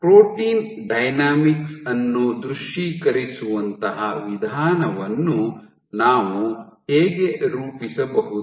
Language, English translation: Kannada, So, how can we devise an approach such that we are able to visualize protein dynamics